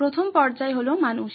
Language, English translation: Bengali, The first stage is people